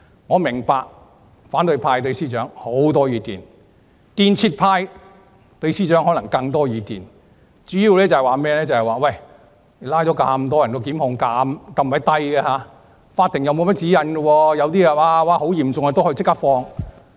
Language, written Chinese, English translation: Cantonese, 我明白反對派對司長有很多意見，但"建設派"對司長可能有更多意見，主要是拘捕了很多人，但檢控人數很低，法庭又沒有甚麼指引。, I understand that the opposition camp has a lot of complaints about her . However the construction camp may have even more complaints about the Secretary for Justice mainly because only a few people have been prosecuted despite a large number of arrestees and the court does not have any guidelines